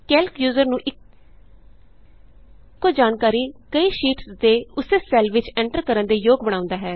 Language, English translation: Punjabi, Calc enables a user to enter the same information in the same cell on multiple sheets